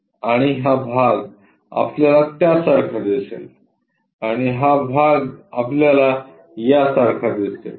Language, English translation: Marathi, And this one we will see it like that, and this part that we will see it in that way